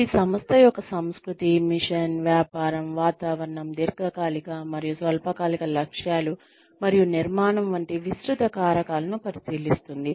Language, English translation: Telugu, Which examines, broad factors such as the organization's culture, mission, business, climate, long and short term goals and structure